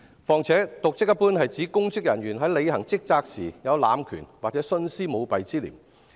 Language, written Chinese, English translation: Cantonese, 再者，瀆職一般是指公職人員在履行職責時，濫權或徇私舞弊。, Furthermore dereliction of duty generally refers to abuse of power or malpractice for personal gains by public officials in performing their duties